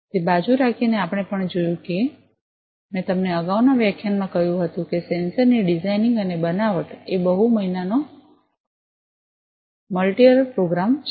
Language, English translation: Gujarati, Keeping that aside, we have also seen that as I told you in the previous lecture that; the designing and fabrication of a sensor is a multi month multiyear program